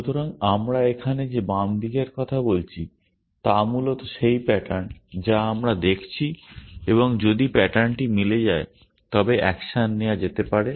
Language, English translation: Bengali, So, the left hand side that we are talking about here is essentially the pattern that we are looking at and if the pattern matches then the action can be done